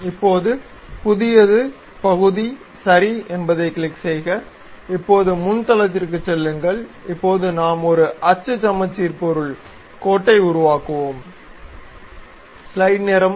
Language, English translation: Tamil, Now, a new one, click part ok, now go to front plane, now we will construct a axis symmetric object, line